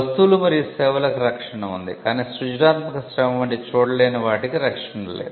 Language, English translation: Telugu, We had protection for goods and services, but there was no protection for the intangibles like creative labour